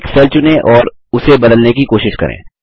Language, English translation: Hindi, The selected cells are validated